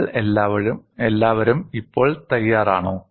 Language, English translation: Malayalam, Are you all ready